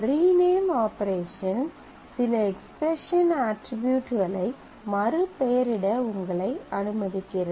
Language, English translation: Tamil, Rename operation basically allows you to rename some expression attribute into another